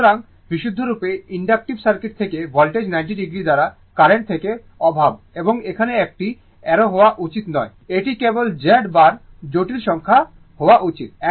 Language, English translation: Bengali, So, current lacks from the voltage by 90 degree from purely inductive circuit and here it should not be arrow it should not be arrow it should be just Z bar the complex number